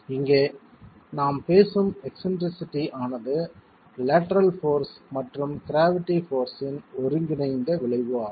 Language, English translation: Tamil, Here the eccentricity that we are talking about is the combined effect of the lateral force plus the gravity force